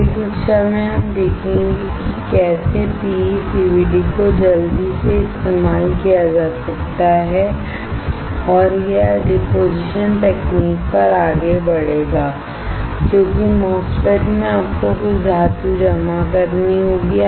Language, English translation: Hindi, In the next class we will see how PECVD can be used quickly and will move on to the deposition technique because in a MOSFET, you have to deposit some metal